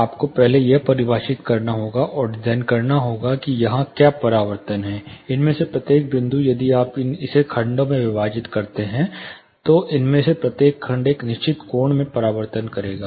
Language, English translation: Hindi, You will have to first define and design what are the reflections here, each of these points if you divide it into segments, each of these segment would reflect in certain angle